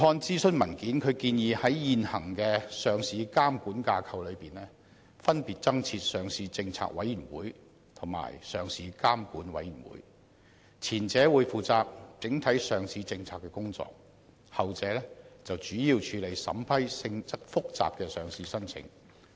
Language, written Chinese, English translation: Cantonese, 諮詢文件建議在現行的上市監管架構下，分別增設上市政策委員會及上市監管委員會，前者將負責整體上市政策的工作，後者則主要處理審批性質複雜的上市申請。, It is proposed in the consultation paper that two new committees will be established under the existing listing regulatory structure namely the Listing Policy Committee and Listing Regulatory Committee . The former will be responsible for making overall listing policy decisions while the latter will mainly be tasked with the vetting and approval of listing applications of a complicated nature